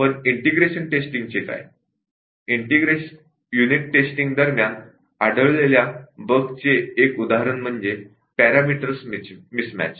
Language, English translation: Marathi, One example of a bug detected during unit testing is miss match of parameters